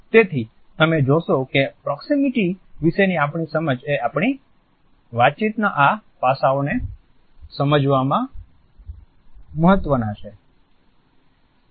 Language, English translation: Gujarati, So, you would find that our understanding of proximity is significant in understanding these aspects of our communication